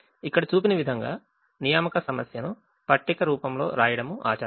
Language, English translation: Telugu, it is customary to write the assignment problem in the form of a table, as shown here